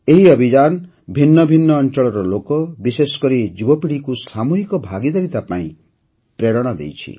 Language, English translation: Odia, This campaign has also inspired people from different walks of life, especially the youth, for collective participation